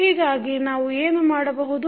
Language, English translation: Kannada, So, what you can do